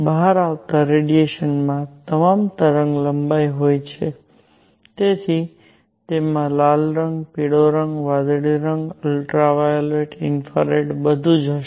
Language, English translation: Gujarati, Radiation coming out has all wavelengths, so it will have red color, yellow color, blue color, ultraviolet, infrared everything it has